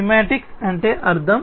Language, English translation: Telugu, Semantics means, meaning